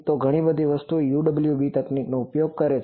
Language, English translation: Gujarati, So, lot of lot of things UWB technology is used